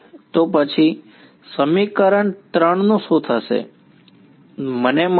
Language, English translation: Gujarati, So, this becomes my equation 5